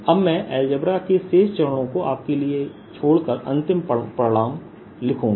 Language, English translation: Hindi, i'll now leave the rest of the steps for you, rest of the steps of algebra, and write the final result